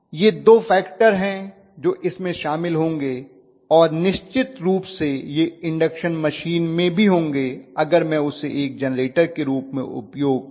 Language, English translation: Hindi, These are going to be the two factors that will be involved this is definitely true even in induction machine if I am using it as a generator